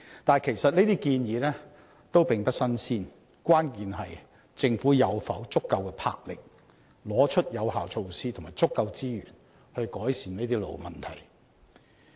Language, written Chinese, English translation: Cantonese, 但是，這些建議其實並不"新鮮"，關鍵是政府是否有足夠魄力，拿出有效措施及足夠資源來改善這些老問題。, However such recommendations are indeed no novelty . The crux is whether the Government is bold enough to introduce effective measures and allocate sufficient resources to solve such long - standing problems